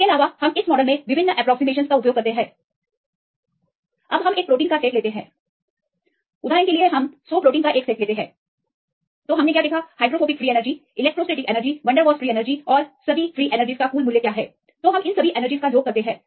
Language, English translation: Hindi, Also we use various approximations in this model; now we can calculate set of proteins and take the total what we wrote is the total value of hydrophobic free energy electrostatic, van der Waals and all the free energies and take that sum of all the energies